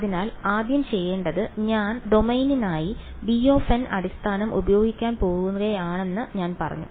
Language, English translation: Malayalam, So, first of all what I should do is, I have said that I am going to use the basis b n for the domain